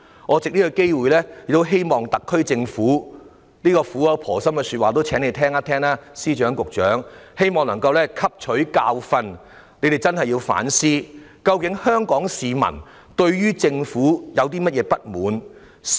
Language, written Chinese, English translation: Cantonese, 我藉此機會，請司長和局長聆聽我這番苦口婆心的說話，希望特區政府能夠汲取教訓，並認真反思各項問題：究竟香港市民對政府有何不滿？, I take this opportunity to ask the Financial Secretary and the Secretary to heed these earnest words of mine . I hope the SAR Government can take a lesson and seriously reflect on various questions What grievances do the people of Hong Kong hold against the Government?